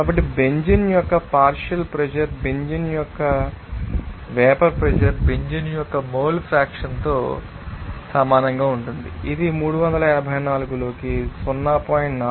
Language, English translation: Telugu, So, partial pressure of benzene that will be equal to mole fraction of benzene to vapor pressure of benzene that will be equal to what 0